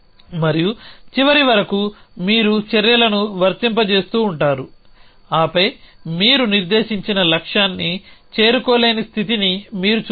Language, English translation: Telugu, And till the end you keep applying the actions and then you see whether the state that you reaches the goal set on not